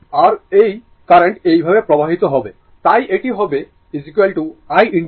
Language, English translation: Bengali, And this I current will be flowing like this, so, it will be is equal to I into R, right